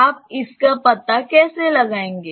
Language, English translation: Hindi, How will you find it out